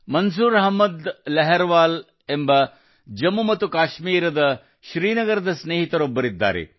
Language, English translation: Kannada, Manzoor Ahmed Larhwal is a friend from Srinagar, Jammu and Kashmir